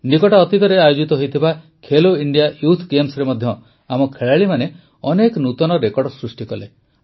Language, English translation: Odia, In the recently held Khelo India Youth Games too, our players set many records